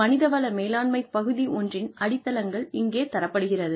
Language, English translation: Tamil, The foundations of Human Resources Management, Part One